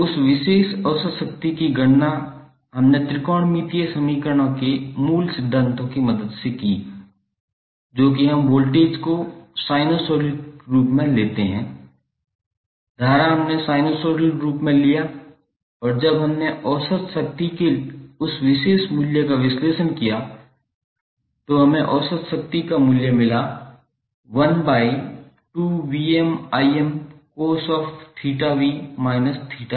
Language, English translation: Hindi, So that particular average power we calculated with the help of the fundamentals of the trigonometric equations that is the voltage we took in the sinusoidal form, current we took in the form of sinusoidal form and when we analyzed that particular value of average power we got value of average power as 1 by 2 VmIm cos of theta v minus theta i